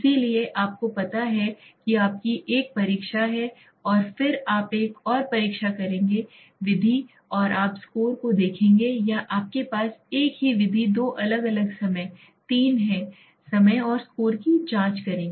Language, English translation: Hindi, So something like you know have one test and then you will make another test maybe another method and you will look at the scores or you have the same method have two different times, 3 times and check the score